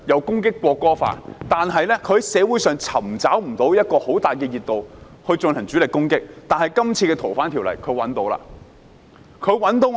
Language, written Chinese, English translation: Cantonese, 他們之前無法在社會上尋找很大的熱度來進行主力攻擊，但他們這次在《條例草案》引起熱度。, Their previous campaigns failed to gather considerable momentum in society and they failed to launch any meaningful attacks but now their opposition to the Bill has gathered momentum